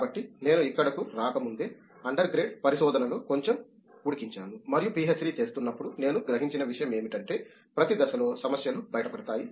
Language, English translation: Telugu, So, I did cook quite bit of under grade research also before coming here and the thing which I realized doing while doing PhD is that problems unfold itself at every stages